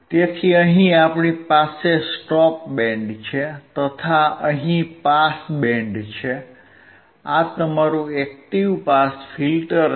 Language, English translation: Gujarati, So, we have here stop band, we have here pass band; this is your active high pass filter